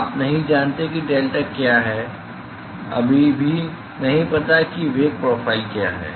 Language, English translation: Hindi, You do not know what delta is a still do not know what is the velocity profile